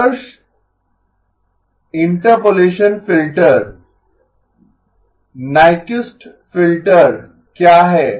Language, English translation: Hindi, What is the ideal interpolation filter, Nyquist filter